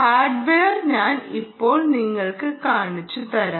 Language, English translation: Malayalam, ok, let me just show you the hardware